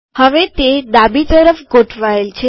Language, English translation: Gujarati, Now it is left aligned